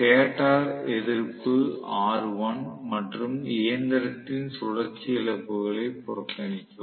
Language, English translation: Tamil, Neglect stator resistance r1 and rotational losses of the machine